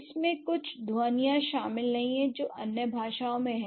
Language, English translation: Hindi, It does not contain certain sounds that other languages have